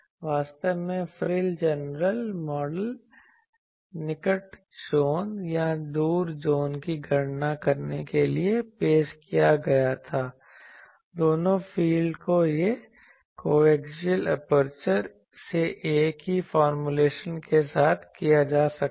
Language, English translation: Hindi, Actually the frill generator model was introduced to calculate the near zone or far zone both fields can be done with the same formulation from co axial apertures